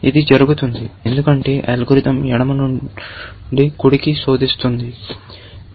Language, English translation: Telugu, That happens, because the algorithm is searching from left to right